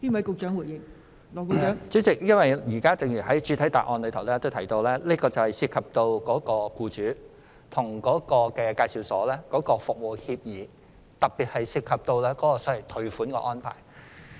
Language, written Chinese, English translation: Cantonese, 代理主席，正如我剛才提到，這問題涉及僱主與職業介紹所之間所訂的服務協議，特別是涉及退款安排。, Deputy President as I have said earlier this problem involves the service agreements entered into between employers and EAs particularly the refund arrangement